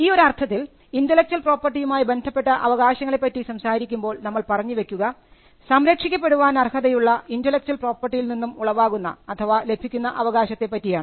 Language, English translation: Malayalam, In that sense when we talk about rights, when in connection with intellectual property, we are talking about rights that emanate from the intellectual property which are capable of being protected